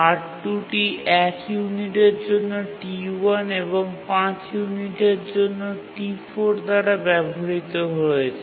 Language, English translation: Bengali, R1 is used for two units by T2 and 5 units by T1